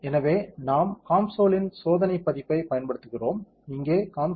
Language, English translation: Tamil, So, we are using trial version of COMSOL, here COMSOL 5